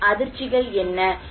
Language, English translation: Tamil, So what are the shocks